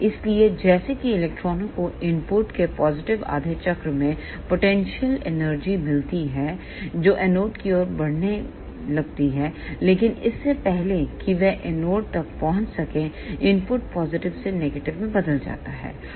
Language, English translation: Hindi, So, as soon as electrons get potential energy in positive half cycle of the input that starts moving towards the anode, but before it could reach to the anode, the input changes from positive to negative